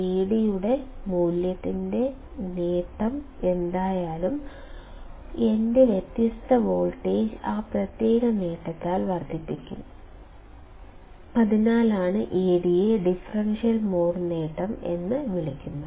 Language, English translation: Malayalam, Whatever is the gain of value of Ad; my difference voltage would be amplified by that particular gain and that is why Ad is called the differential mode gain